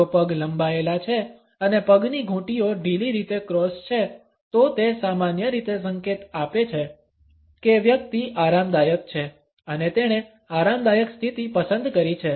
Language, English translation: Gujarati, If the legs are outstretched and the ankles are loosely crossed, it usually signals that the person is at ease and his opted for a comfortable position